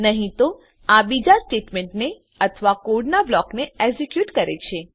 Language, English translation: Gujarati, Else it executes another statement or block of code